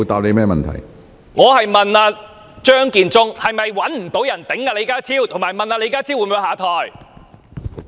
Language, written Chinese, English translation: Cantonese, 我問張建宗是否找不到人頂替李家超，以及問李家超會否下台？, I asked Matthew CHEUNG whether he was unable to find someone as a substitute for John LEE and whether John LEE would step down